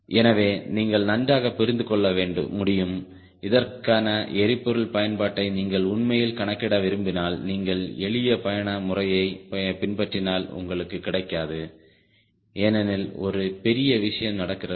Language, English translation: Tamil, and if you want to really calculate the fuel consumption for this and if you follow simple cruise method, you will not get, because there are a huge things are happening